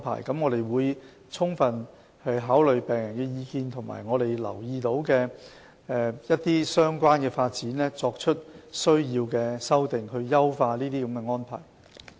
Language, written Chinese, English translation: Cantonese, 我們會充分考慮病人的意見，以及我們留意到的一些相關發展，作出所需的修訂，以優化這些安排。, We will fully consider patients views and the related developments noted by us and make necessary amendments to enhance these arrangements